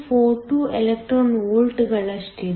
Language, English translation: Kannada, 42 electron volts